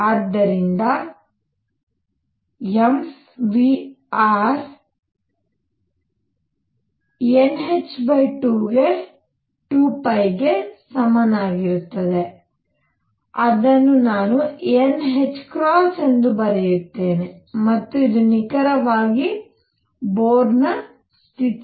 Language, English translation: Kannada, And therefore, m v r would be equal to n h over 2 pi which I will write as n h cross, and this is precisely the Bohr condition